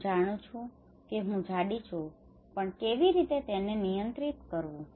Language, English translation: Gujarati, I know I am fat but how to control that one